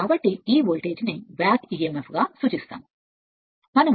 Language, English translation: Telugu, So, that it is customary to refer to this voltage as the back emf